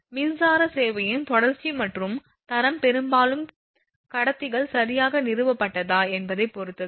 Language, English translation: Tamil, The continuity and quality of electric service depend largely on whether the conductors have been properly installed